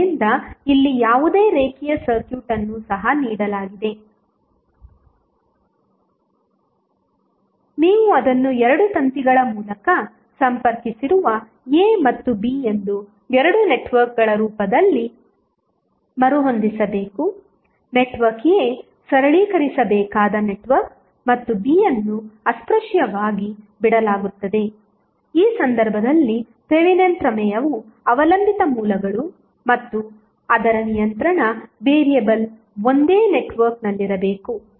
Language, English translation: Kannada, So, here also given any linear circuit, you have to rearrange it in the form of 2 networks that is A and B which are connected by 2 wires, network A is the network to be simplified and B will be left untouched as in the case of Thevenin's theorem in this case also the dependent sources and its controlling variable must be in the same network